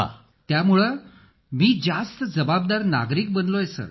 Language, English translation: Marathi, It has made me a more responsible citizen Sir